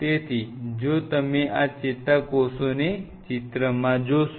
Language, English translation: Gujarati, So, neurons are if you see this picture